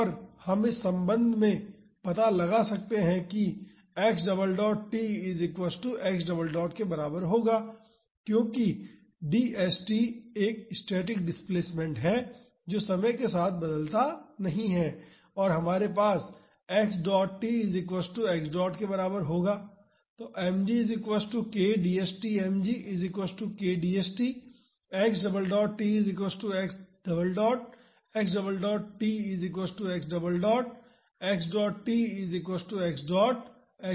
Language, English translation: Hindi, And we can find out from this relation that x double dot t will be equal to x double dot because d st is a static displacement which does not vary with time and also we have x dot t would be equal to x dot